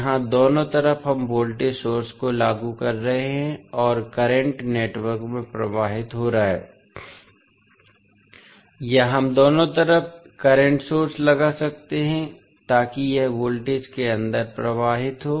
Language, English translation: Hindi, Here at both sides we are applying the voltage source and the current is flowing to the network or we can apply current source at both sides so that it flows inside the network